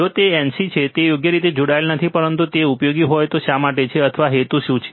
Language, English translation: Gujarati, If it is nc that is not connected right, but what is the role why it is there if it is it useful, or what is the purpose